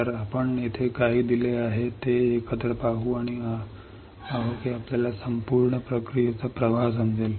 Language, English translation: Marathi, So, let us see together what is given here, and we will see that you will understand the complete process flow